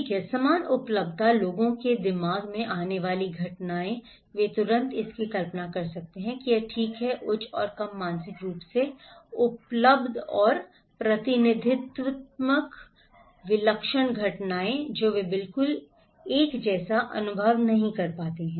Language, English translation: Hindi, Okay, alike availability, events that come to people’s mind immediately they can imagine it okay, high and less mentally available or representativeness, singular events that they experience not exactly the same